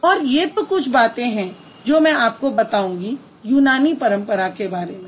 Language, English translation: Hindi, And these are just a few things about the Greek tradition I'm going to talk about